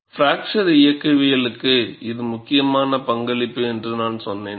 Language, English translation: Tamil, And I said, it is a very important contribution to fracture mechanics